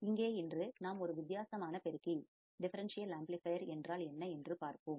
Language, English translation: Tamil, And here today we will see what exactly a differential amplifier is